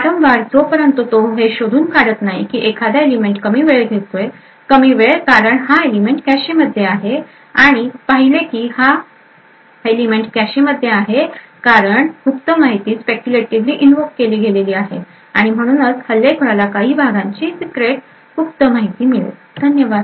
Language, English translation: Marathi, Over and over again until he finds out that one particular element is taking a shorter time so the shorter time is due to the fact that this element is present in the cache and noticed that this element is in the cache due to the secret of information which has invoked it speculatively and does the attacker would get some information about the contents of the secret, thank you